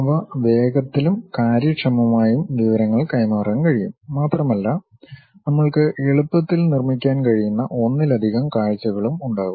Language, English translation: Malayalam, They can be quickly and efficiently convey information and we will have multiple views also we can easily construct